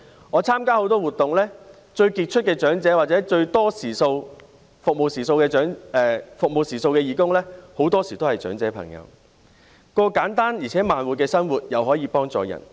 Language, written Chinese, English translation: Cantonese, 我參加很多活動，最傑出的長者，或者服務時數最多的義工，很多時候也是長者朋友，既可過簡單而且慢活的生活，又可以幫助別人。, I have taken part in many activities and often the most outstanding people or volunteers who have performed the most hours of service are elderly people . On the one hand they can lead a simple life at a slow pace and on the other they can help other people